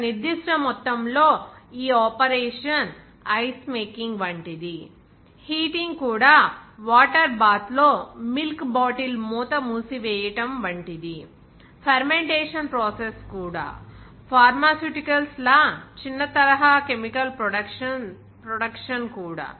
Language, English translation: Telugu, That at a certain amount of batch this operation is taking place like ice making, even heating is sealed bottle of milk in a water bath, even fermentation process, even a small scale chemical production like; pharmaceuticals